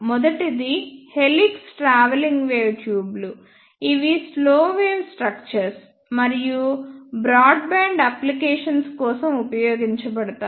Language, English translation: Telugu, First one is helix travelling wave tubes which are slow wave structures and are used for broadband applications